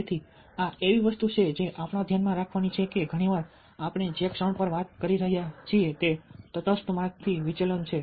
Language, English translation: Gujarati, we have to keep in mind that very often, the moment we are talking at it should, it is a deviation from a neutral path